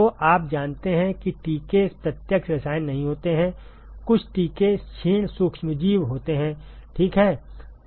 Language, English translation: Hindi, So, you know vaccines are not direct chemicals, some vaccines are attenuated microorganisms ok